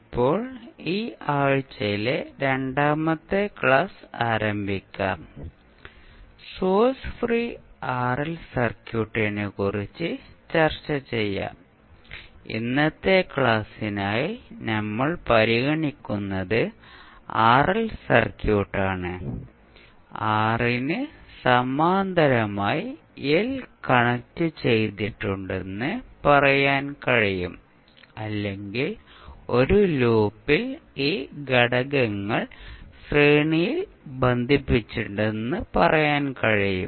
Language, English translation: Malayalam, So now, let us starts the second lecture of this week we will discuss about the source free RL circuit now, if you see the RL circuit which we will consider for today’s discussion is RL circuit you can say that L is connected in parallel or you can say that the elements are connected in series in a loop